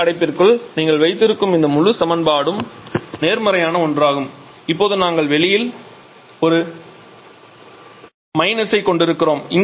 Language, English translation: Tamil, So, that means this entire term you said the square bracket is a positive one and now we are having a minus sign outside